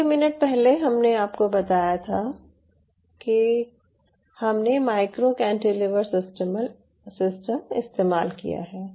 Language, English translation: Hindi, so earlier, just few minutes back, i told you we used micro cantilever systems